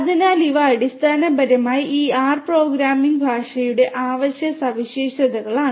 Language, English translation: Malayalam, So, these are basically the essential features of this R programming language